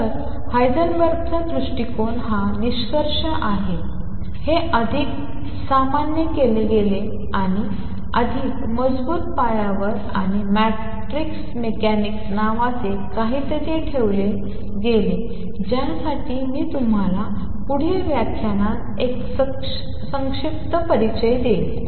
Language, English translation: Marathi, So, this is the conclusion of Heisenberg’s approach, this was made more general and put on a stronger footing and something called the matrix mechanics, to which I will just give you a brief introduction in the next lecture